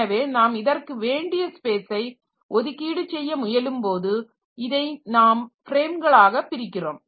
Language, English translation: Tamil, So, when I am trying to allocate it space, so this is divided into frames